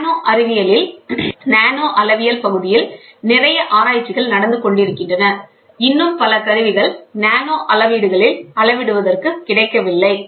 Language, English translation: Tamil, And there is lot of research going on in research in the area of nanometrology, still there are not many tools which are available at nanoscales for measurements, ok